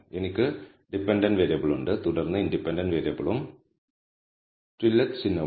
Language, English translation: Malayalam, So, I have dependent variable I have a tillet sign followed by the independent variable